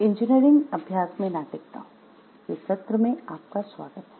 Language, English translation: Hindi, Welcome to the session on ethics in engineering practice